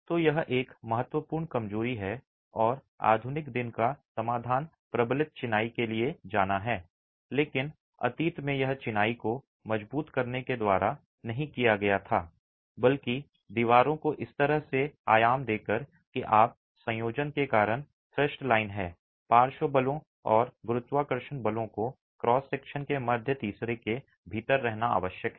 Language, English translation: Hindi, So, this is a significant weakness and the modern day solution is to go for reinforced masonry but in the past this was not countered by reinforcing masonry but rather by dimensioning walls in a way that you have the thrust line due to the combination of the lateral forces and the gravity forces required to stay within the middle third of the cross section